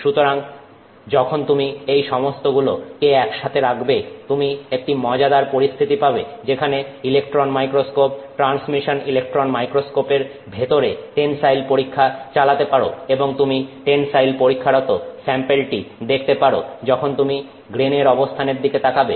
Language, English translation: Bengali, So, once you put all of these together, you have a very interesting situation where you can run an tensile test inside the electron microscope, inside the transmission electron microscope and you can watch the sample you know undergo its a tensile test while watching the location of the grains